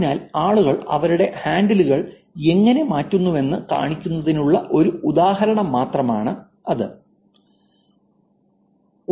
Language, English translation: Malayalam, So, this is just an example to show you how people change their handings